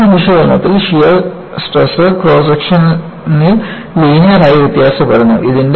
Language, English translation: Malayalam, And, in torsion analysis, the shear stress varies linearly over the cross section